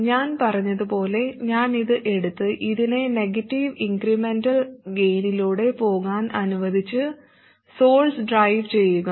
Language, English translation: Malayalam, Like I said, I should take this, make it go through a negative incremental gain and drive the source